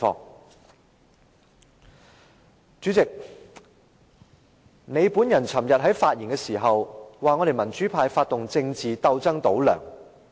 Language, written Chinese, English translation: Cantonese, 代理主席，你昨天發言時說，我們民主派發動政治鬥爭"倒梁"。, Deputy President you said yesterday that democratic Members kept stirring up political conflicts to topple LEUNG